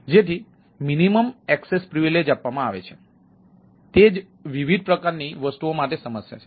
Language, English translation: Gujarati, that is a problem for different type of things